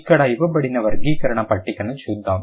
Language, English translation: Telugu, Let's look at the classification table given here